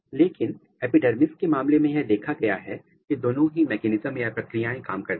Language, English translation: Hindi, But, in case of epidermis it was observed that both the mechanisms functions